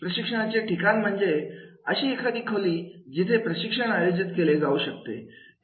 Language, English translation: Marathi, The training site refers to the room where training will be conducted